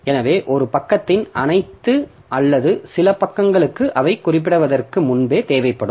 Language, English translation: Tamil, So, pre page all or some of the pages of a process will need before they are referenced